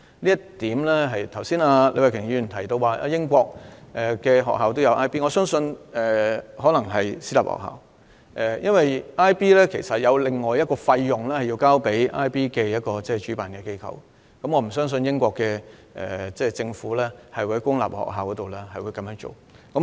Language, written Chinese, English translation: Cantonese, 李慧琼議員剛才提到英國學校也有教授 IB 課程，我相信可能是私立學校，因為學生須向 IB 課程的主辦機構支付另一筆費用，所以我不相信英國公立學校會教授 IB 課程。, Just now Ms Starry LEE said that schools in the United Kingdom also teach IB courses . I believe those courses are taught in private schools because students have to pay the operator of IB courses an extra sum of money and that is why I do not believe public schools in the United Kingdom would teach IB courses